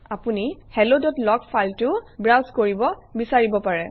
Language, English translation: Assamese, You may also want to browse through the hello.log file